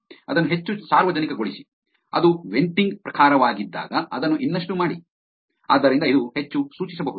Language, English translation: Kannada, Make it more public, when it was venting type, right, make it more, so, it can be more suggestive